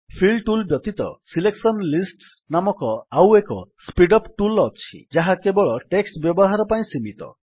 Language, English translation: Odia, Apart from Fill tools there is one more speed up tool called Selection lists which is limited to using only text